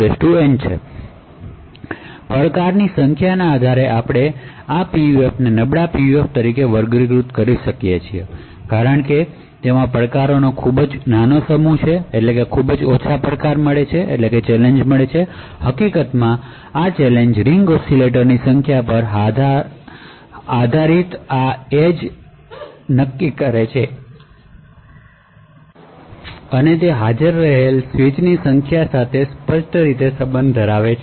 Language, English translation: Gujarati, So based on the number of challenges we categorize these PUFs as a weak PUF because it has a very small set of challenges, in fact the challenges linearly dependent on the number of ring oscillators or the strong PUF in case of arbiter because the number of challenges that are possible are exponentially related to the number of arbiter switches that are present